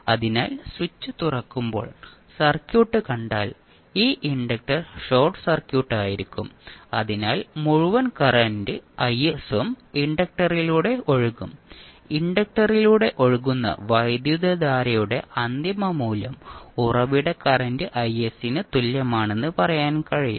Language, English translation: Malayalam, So if you see the circuit when the switch is open for very long period this inductor well be short circuit, so whole current that is I s will flow through the inductor and you can say that the final value of current which is flowing through inductor is same as source current that is I s